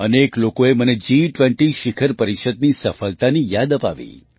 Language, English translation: Gujarati, Many people reminded me of the success of the G20 Summit